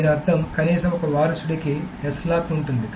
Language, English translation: Telugu, This means that at least one descendant has a S lock